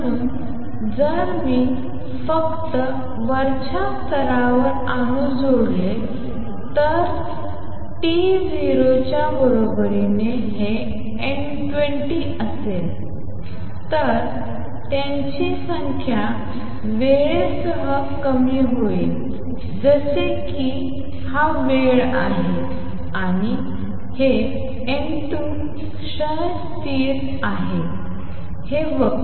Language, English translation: Marathi, So, if I add atoms only in the upper level at time t equals to 0 this is N 2 0 they would the number would decrease with time exponentially like this this is time and this is N 2 the decay constant is this curve is like E raise to minus A 21 t